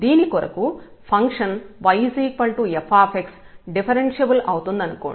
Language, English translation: Telugu, So, suppose the function y is equal to f x is differentiable